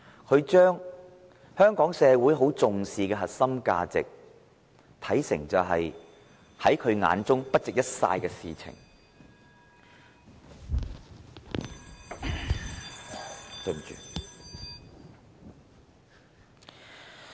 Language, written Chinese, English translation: Cantonese, 他將香港社會重視的核心價值，視為不值一哂的事情......, He regards the core values treasured by society of Hong Kong as something meaningless A phone rang Sorry